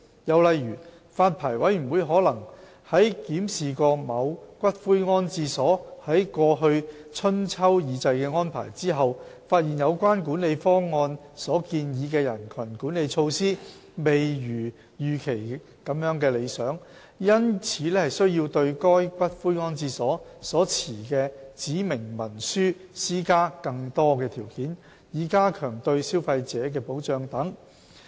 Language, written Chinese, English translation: Cantonese, 又例如，發牌委員會可能在檢視某骨灰安置所在過去春秋二祭的安排後，發現有關管理方案所建議的人群管理措施未如預期般理想，因此需要對該骨灰安置所所持的指明文書施加更多條件，以加強對消費者的保障等。, Another example is that the Licensing Board may after examining the previous arrangements made by a columbarium for the Spring and Autumn ancestral offerings ceremonies notice that the crowd management measures proposed in the management plan were not as effective as it originally envisaged and therefore find it necessary to impose further conditions on the specified instruments held by such columbarium so as to enhance the protection for consumers etc